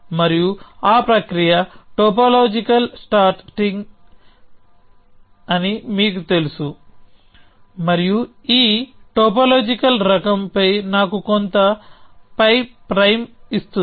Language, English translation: Telugu, And that process as I am sure you know is called topological sorting and this topological sort of pie will give me some pie prime